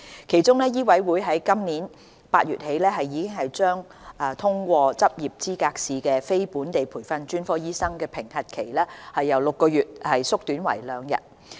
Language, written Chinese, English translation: Cantonese, 其中，醫委會在今年8月起將已通過執業資格試的非本地培訓專科醫生的評核期由6個月縮短為兩天。, As a result of these discussions MCHK has shortened the period of assessment for non - locally trained specialist doctors who have passed the Licensing Examination from six months to two days starting from August this year